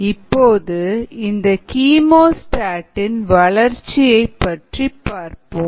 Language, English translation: Tamil, so we will look at growth in a chemostat